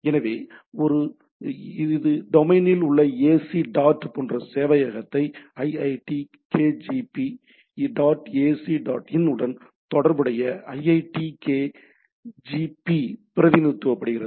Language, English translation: Tamil, So, it has it has delegated the server like ac dot in domain as delegated that iitkgp related to the iitkgp dot ac dot in